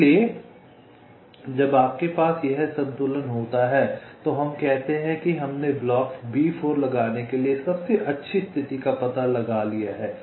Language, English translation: Hindi, so when you have this equilibrium, we say that we have found out the best position to place block b four